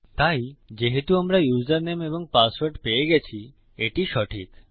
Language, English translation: Bengali, So because we have got username and password then thats fine